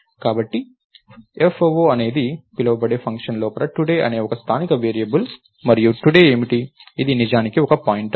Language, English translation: Telugu, So, inside this function called foo right, so today is a local variable and what is today, its actually a pointer